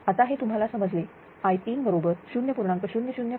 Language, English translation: Marathi, So, i 2 is equal to 0